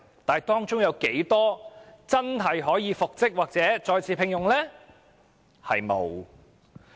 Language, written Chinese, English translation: Cantonese, 但是，當中有多少僱員可以真正復職或再次獲聘？, Nevertheless how many employees in these cases were eventually reinstated or re - engaged?